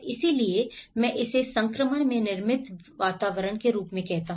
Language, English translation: Hindi, So that is where I call it as built environments in transition